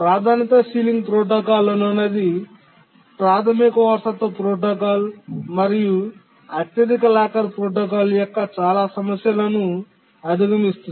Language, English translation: Telugu, The priority sealing protocol overcame most of the problem of the basic inheritance protocol and the highest locker protocol